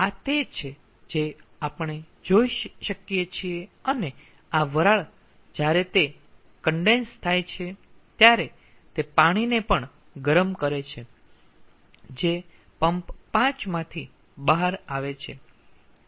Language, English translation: Gujarati, and this steam, when it is condensing, it is also heating the water which is coming out of pump five